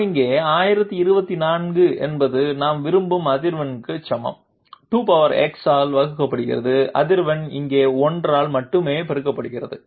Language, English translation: Tamil, We have here 1024 is the frequency multiplied by only 1 here divided by 2 to the power x equal to the frequency that we want